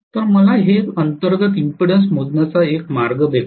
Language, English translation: Marathi, So, this is giving me a way to measure the internal impedance